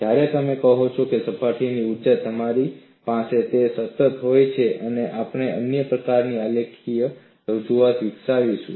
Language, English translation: Gujarati, When you say, the surface energy, you tend to have that as constant and we will develop another kind of a graphical representation